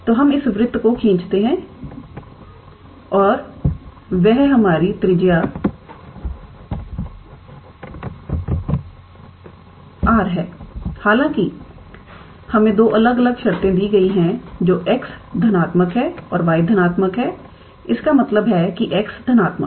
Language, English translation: Hindi, So, let us draw this circle and that is our radius R; however, we are also given two separate conditions which is x is positive and y is positive; that means x is positive